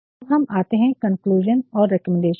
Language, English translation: Hindi, Now, we come to the conclusion and recommendation